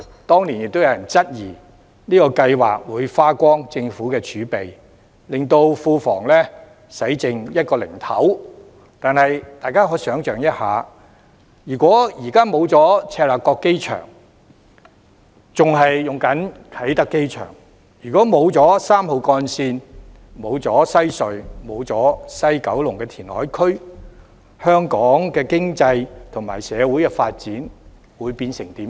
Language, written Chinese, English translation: Cantonese, 當年亦有人質疑這項計劃會花光政府儲備，令庫房用剩一個零頭，但是大家可以想象一下，如果現在沒有赤鱲角機場，仍然使用啟德機場；如果沒有3號幹線，沒有西隧，也沒有西九龍填海區，香港的經濟及社會發展會變成怎樣？, At the time some people also challenged that the project would deplete the Governments fiscal reserves and leave a pittance to the Treasury but let us imagine if there had been no Chek Lap Kok Airport and we were still using Kai Tak Airport today and if there had been neither Route 3 nor Western Harbour Crossing nor West Kowloon Reclamation Area what would Hong Kongs economic and social development have become?